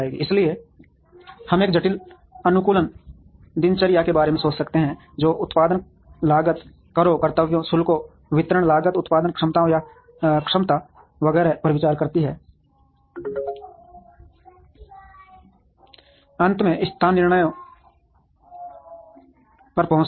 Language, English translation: Hindi, So, we could think of a complex optimization routine that considers production costs taxes, duties, tariffs, distribution, cost production, capabilities or capacities etcetera to finally, arrive at location decisions